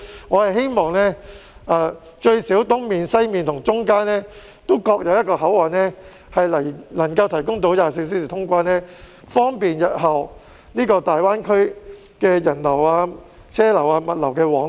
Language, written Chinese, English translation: Cantonese, 我希望最低限度在東面、西面及中間各有一個24小時通關的口岸，方便日後大灣區人流、車流及物流往來。, I hope that at least there will be one 24 - hour boundary crossing in the east west and middle to facilitate the flow of people vehicles and goods to and from the Greater Bay Area in future